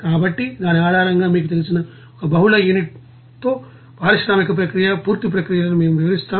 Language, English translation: Telugu, So, based on which we will describe one you know industrial process with multiple units, the complete processes